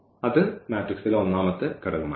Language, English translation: Malayalam, So, that will be the second element